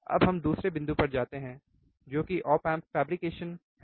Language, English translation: Hindi, So, let us move to the second point which is the op amp fabrication